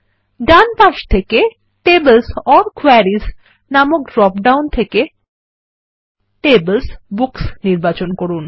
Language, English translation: Bengali, And, on the right hand side let us choose Tables:Books from the drop down here that says Tables or Queries